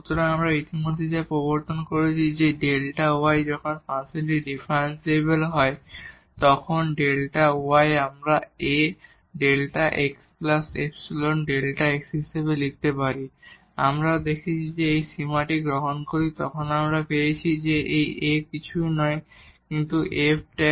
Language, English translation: Bengali, So, what we have introduced already that the delta y when the function is differentiable then delta y we can write down as A time delta x plus epsilon times delta x and we have also seen that when we take this limit so, we got that this A is nothing, but the f prime x